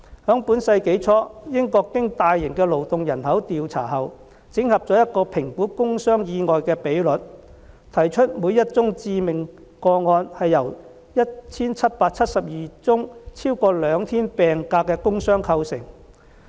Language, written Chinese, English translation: Cantonese, 在本世紀初，英國經大型勞動人口調查後，整合了一個評估工傷意外的比率，提出每宗致命個案是由 1,772 宗超過兩天病假的工傷構成。, At the beginning of this century after conducting a large - scale survey on labour force the United Kingdom came up with a ratio in the assessment of industrial injuries and accidents that behind each fatal case there were 1 772 work injury cases with more than two days of sick leave